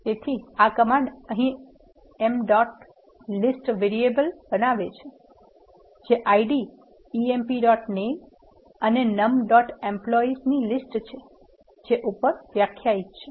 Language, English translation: Gujarati, So, this command here creates m dot list variable which is a list of the ID, emp dot name and num dot employees that are defined above